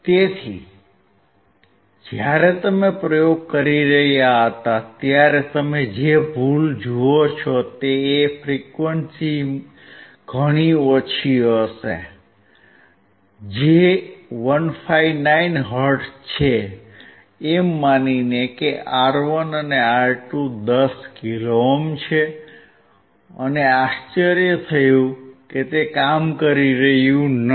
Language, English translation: Gujarati, So, the error that you see when we were performing the experiment that we were assuming that the frequency would be much lower, which is 159 hertz assuming that R1 and R2 are 10 kilo ohms, and we were surprised that it was not working